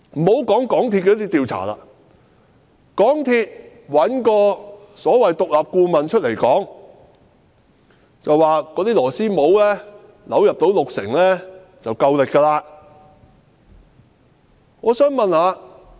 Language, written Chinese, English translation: Cantonese, 且不說港鐵公司的調查，港鐵公司找所謂獨立顧問出來表示，螺絲帽扭入六成已有足夠荷載力。, Let alone the investigation by MTRCL which found a so - called independent consultant to come forward to say that a rebar screwed into the coupler by 60 % of the full depth could already provide a sufficient loading capacity